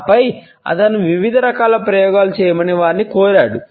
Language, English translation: Telugu, And then he had asked them to undergo different types of experimentations